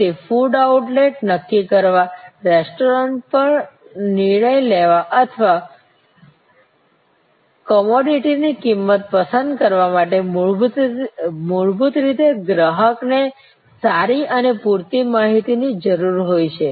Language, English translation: Gujarati, So, to decide on a food outlet, to decide on a restaurant or to choose a price for a commodity, fundamentally the customer needs good and enough sufficient information